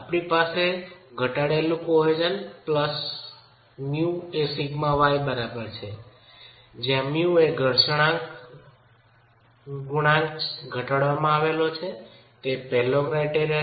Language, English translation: Gujarati, We have tau is equal to reduced cohesion plus mu into sigma y where mu again is reduced friction coefficient being the first criterion